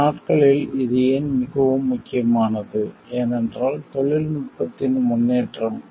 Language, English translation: Tamil, Why it has become more important these days, is because with the advances in technology